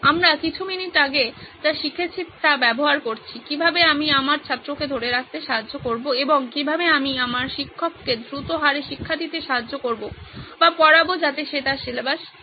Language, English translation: Bengali, We are using what we just learnt a few minutes ago is how do I help my student retain and how do I help my teacher teach at a fast rate or teach so that she covers her syllabus